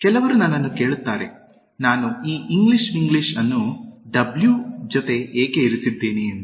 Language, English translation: Kannada, Some people ask me, why have I put this English Winglish with W